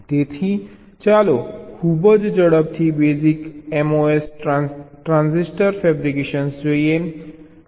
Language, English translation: Gujarati, ok, so lets very quickly look at the mos transistor fabrication basic